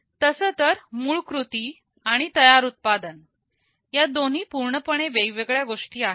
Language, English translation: Marathi, Well, prototyping and finished products are two entirely different things